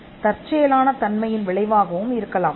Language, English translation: Tamil, And inventions can also be a result of serendipity